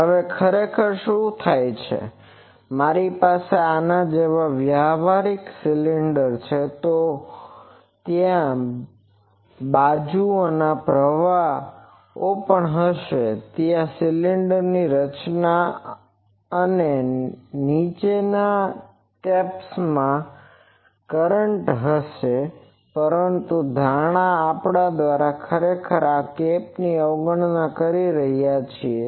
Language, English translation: Gujarati, Now, these actually what happens if I have a practical cylinder like this; so there will be currents in the sides also in these top caps of the cylinder top and bottom caps there will be current, but by this assumption actually we are neglecting that cap